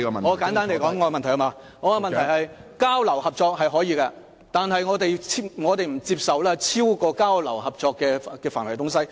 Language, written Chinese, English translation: Cantonese, 我的關注是，交流合作是可以的，但我們不接受超出交流合作範圍的事情。, My concern is that they can work on exchanges and collaboration projects but anything that goes beyond the scope of exchanges and collaboration projects will be unacceptable